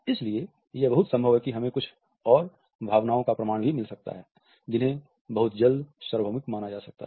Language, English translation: Hindi, So, it is quite possible that we may also get evidence of some more emotions which may be considered universal very shortly